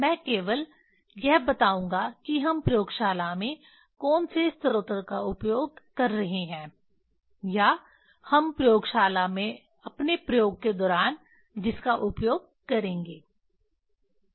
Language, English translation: Hindi, Let me just tell you what are the source we are using in the lab or we will use in the lab during our experiment